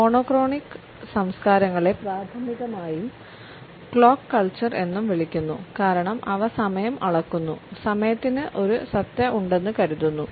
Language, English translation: Malayalam, The monochronic cultures are also primarily known as the clock cultures because for them time is measured and it is of essence